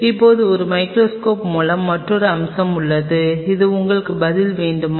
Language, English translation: Tamil, Now with a microscope there is another aspect which answer, do you want